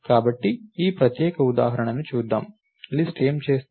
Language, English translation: Telugu, So, let us see this particular example, list this is what is doing